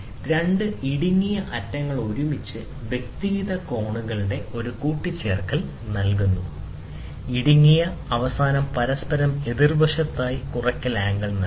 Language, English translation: Malayalam, Two narrow ends together provide an addition of individual angles, which narrow end lies opposite to each other provides subtraction angle